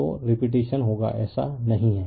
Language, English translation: Hindi, So, repetition will be there is not it